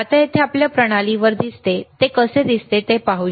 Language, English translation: Marathi, Now let us see how it looks on your system here